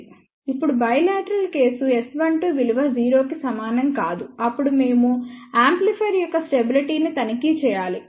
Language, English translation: Telugu, Now, for bilateral case S 1 2 is not equal to 0, then we have to check stability of the amplifier